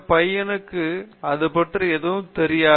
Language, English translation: Tamil, This boy does not know anything about it okay